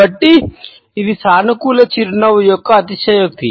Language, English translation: Telugu, So, it is an exaggeration of a positive smile